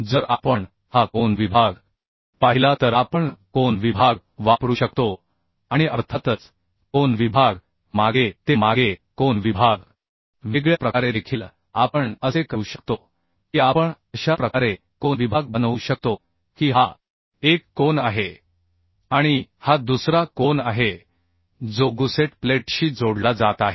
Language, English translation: Marathi, if we see this angle section and of course, angle section back to back, angle section in a different way also, we can make, like we can make angle sections in this way, also say this is one angle and this is another angle which is connecting with a gusset plate